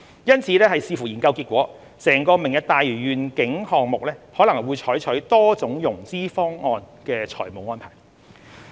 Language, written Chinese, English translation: Cantonese, 因此，視乎研究結果，整個"明日大嶼願景"項目可能會採取多種融資方案的財務安排。, Subject to the study outcome it is possible that a mixture of different options may be adopted in terms of the financial arrangements of the entire project